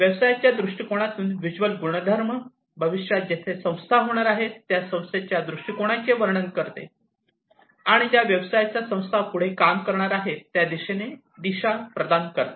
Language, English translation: Marathi, The vision attribute in the business viewpoint describes the vision of the organization where the organization is going to be in the future, the future state of it, and providing direction to the business towards which the organization is going to work further